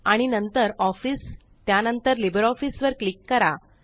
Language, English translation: Marathi, And then click on Office and then on LibreOffice